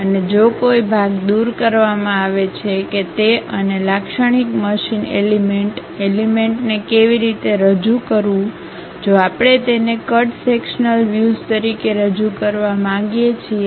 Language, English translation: Gujarati, And, if any part is removed how to represent that and a typical machine element; if we would like to represent it a cut sectional view how to represent that